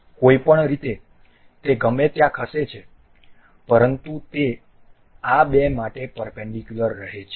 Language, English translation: Gujarati, Anyway anywhere it moves, but it remains perpendicular to these two